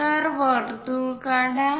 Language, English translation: Marathi, So, draw a circle